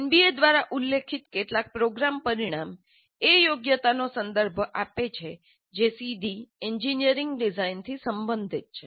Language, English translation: Gujarati, Several program outcomes specified by NBA refer to competencies that are related directly to engineering design